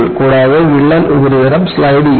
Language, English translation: Malayalam, And, the crack surface slides